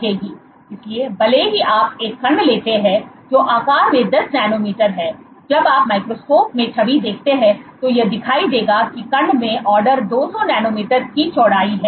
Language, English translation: Hindi, So, even if you take a particle which is 10 nanometers in size, when you image in the microscope image it will appear that the that the that that particle has a width of order 200 nanometers